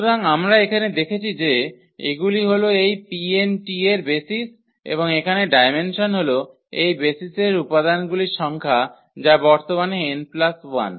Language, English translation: Bengali, So, here we have seen that these are the basis for this P n t and the dimension here the number of elements in this basis which is n plus 1 at present